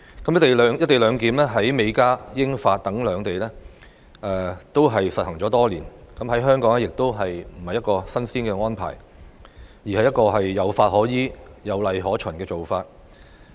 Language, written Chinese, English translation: Cantonese, "一地兩檢"在美加、英法等邊境已實行多年，在香港亦不是一項新鮮安排，而是一個有法可依、有例可循的做法。, Co - location arrangement has been in place for many years at the borders between the United States and Canada and between the United Kingdom and France . It is not a new arrangement for Hong Kong either but one that is operating in compliance with laws and regulations